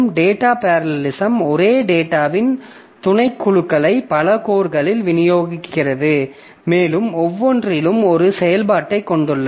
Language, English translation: Tamil, So, data parallelism, it says it distributes subsets of the same data across multiple codes and some with same operation on each